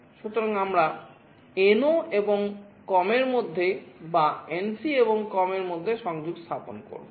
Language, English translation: Bengali, So, we will be connecting either between NO and COM, or between NC and COM